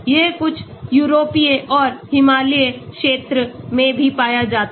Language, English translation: Hindi, it is found in some European and also in Himalayan region this tree is found